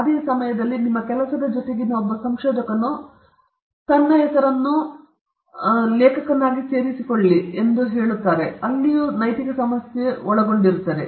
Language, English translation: Kannada, At the same time, whether a particular researcher who collaborated with your work, can his name be included as an author that itself involves an ethical issue